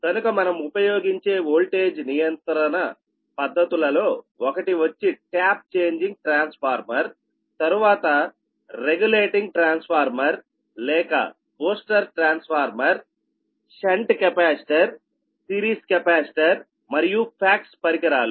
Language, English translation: Telugu, so the methods for voltage control are the use of one is the tap changing transformer, then regulating transformer or booster transformer, ah, shunt capacitor, ah, series capacitor and the facts devices, right